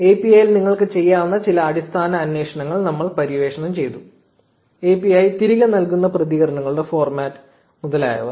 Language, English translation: Malayalam, We have explored some basic queries that you can make in the API; the format of the responses that the API returns etcetera